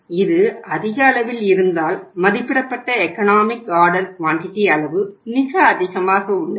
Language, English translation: Tamil, If it is on the higher side, estimated economic order quantity is very high so what will happen